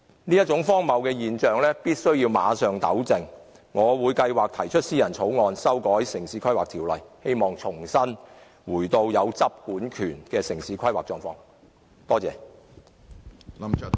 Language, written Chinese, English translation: Cantonese, 我們必須馬上糾正這種荒謬現象，我計劃提出私人草案修訂《城市規劃條例》，希望重新回到有執管權的城市規劃狀況。, We must immediately rectify this ridiculous situation . I plan to propose a private bill to amend the Town Planning Ordinance with a view to restoring to a state of city planning in which the Government is vested with an enforcement and regulatory power